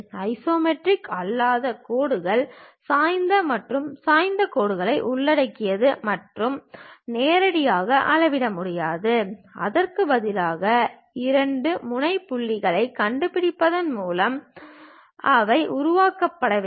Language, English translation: Tamil, Non isometric lines include inclined and oblique lines and cannot be measured directly; instead they must be created by locating two endpoints